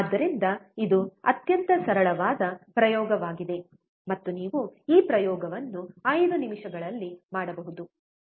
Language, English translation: Kannada, So, this is extremely simple experiment, and you can perform this experiment within 5 minutes